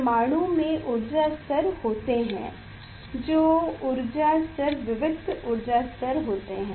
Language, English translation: Hindi, in atom there are energy levels that energy levels are discrete energy levels